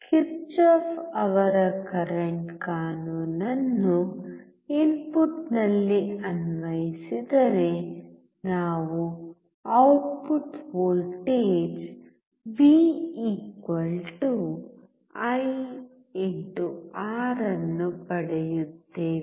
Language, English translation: Kannada, Applying Kirchoff’s Current Law at input, we get Output Voltage V=IR